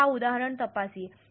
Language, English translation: Gujarati, Let us take this example